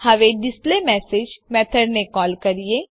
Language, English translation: Gujarati, Now let us call the method displayMessage